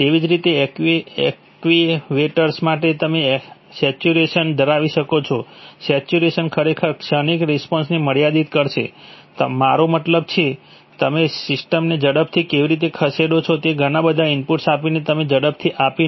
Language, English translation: Gujarati, Similarly for actuators, you can have saturation, saturation will actually limit transient response because you are not, I mean, how do you move a system fast, by giving it a lot of input and by giving it fast